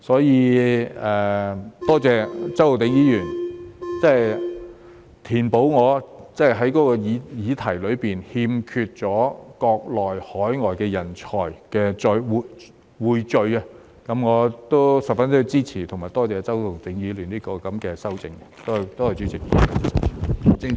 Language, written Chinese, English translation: Cantonese, 因此，多謝周浩鼎議員填補了我的議案中匯聚國內及海外人才的缺口，我十分支持及多謝周浩鼎議員的修正案，多謝主席。, Hence I thank Mr Holden CHOW for enriching the content of my motion by adding the part on attracting talents from the Mainland and overseas . I strongly support and is thankful for his amendment . Thank you President